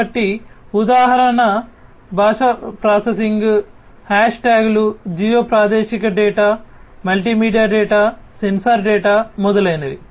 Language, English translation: Telugu, So, example would be language processing, hash tags, geo spatial data, multimedia data, sensor data, etcetera